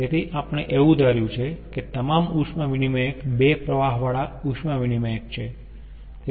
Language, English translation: Gujarati, so we have assumed all the heat exchangers are two stream heat exchangers